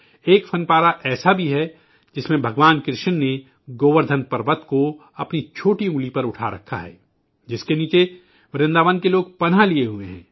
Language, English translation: Urdu, There is an artifact as well, that displays the Govardhan Parvat, held aloft by Bhagwan Shrikrishna on his little finger, with people of Vrindavan taking refuge beneath